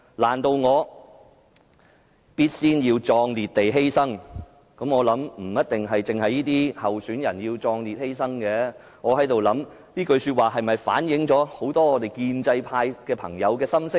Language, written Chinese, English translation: Cantonese, "難道我要必先壯烈地犧牲"，我想不一定只有這些候選人要壯烈犧牲，這句話是否其實反映了很多建制派朋友的心聲呢？, Do I really have to bravely sacrifice myself first? . I believe the need to sacrifice themselves does not necessarily apply to these candidates only . Does the lyric reflect the mind of many of those from the pro - establishment camp indeed?